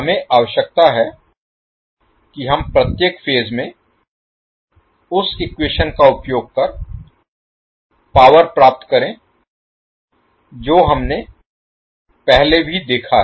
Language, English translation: Hindi, We require that we find the power in each phase using the equation which we have seen earlier also